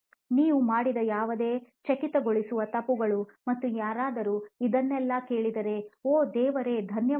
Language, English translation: Kannada, Any other startling mistakes that you made and you want somebody who is listening to all this say oh thank god